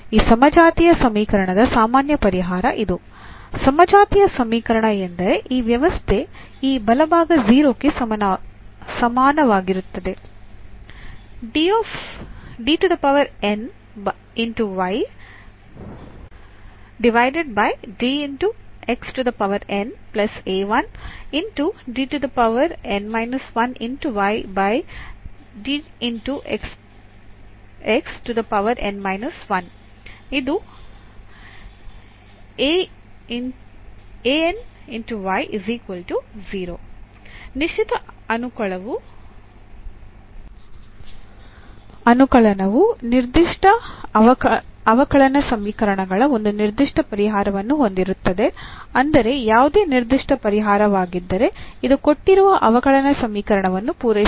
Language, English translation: Kannada, So, this is the general solution as I said of this homogeneous equation; homogeneous equation means this setting this right hand side equal to 0 and the particular integral will have a very particular solution of the given differential equations meaning that if a is any particular solution then this will satisfy the given differential equation